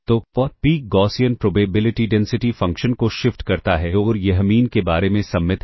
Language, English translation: Hindi, So, the peak shifts in the Gaussian probability density function and it is symmetric about the mean